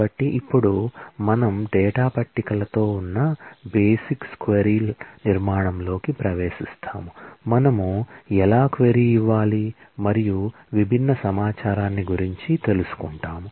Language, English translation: Telugu, So, now we will get into the basics query structure which is with tables with existing data, how do I query and find out different information